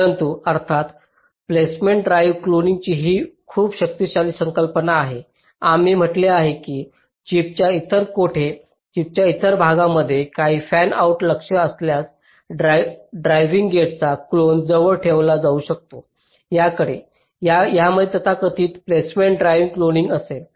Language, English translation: Marathi, but of course, placement driven cloning is very powerful concept, as we said, that if there are some fanout targets which are located in somehow else of the chip chip, some other part of the chip, then a clone of the driving gate can be placed closer to that